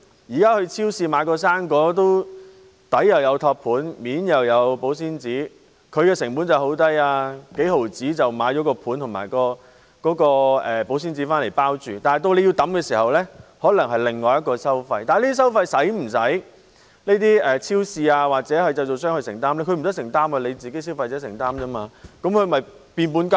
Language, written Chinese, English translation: Cantonese, 現時到超市買一個生果，底有托盤，面有保鮮紙；他們的成本很低，只須幾毫子便可用托盤和保鮮紙來包裝，但到我們丟棄時，可能又有另一種收費，不過超市或製造商需否承擔這些收費呢？, At present when we buy a piece of fruit from a supermarket it comes with a tray underneath and a cling film on top which cost as low as several tens of cents but when we dispose of them there may be another charge . However do the supermarkets or manufacturers need to bear these charges? . They do not